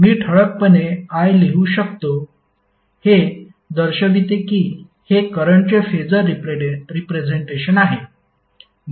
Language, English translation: Marathi, So you can simply write capital I in bold that shows that this is the phasor representation of current